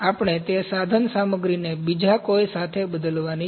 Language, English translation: Gujarati, We have to replace that equipment with some other